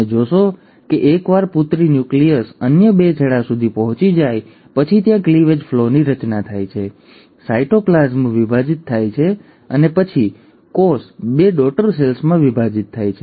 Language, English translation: Gujarati, You find that once the daughter nuclei have reached the other two ends, there is a formation of cleavage furrow, the cytoplasm divides and then, the cell pinches off into two daughter cells